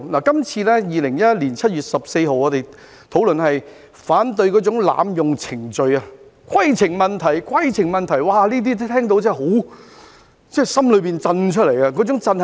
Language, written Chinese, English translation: Cantonese, 這次 ，2021 年7月14日，我們討論反對濫用程序，"規程問題"、"規程問題"，這些聽到真的從內心震出來，那種震是甚麼呢？, This time on 14 July 2021 we are discussing ways to counter the abuse of procedures . Upon hearing a point of order one after another one must be trembling deep in his heart . What sort of trembling am I talking about?